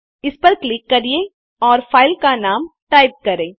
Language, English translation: Hindi, Just click on it and type the file name